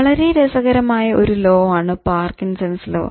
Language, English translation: Malayalam, So that is a very interesting law suggested by Parkinson